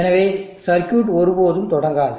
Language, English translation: Tamil, So the circuit will never start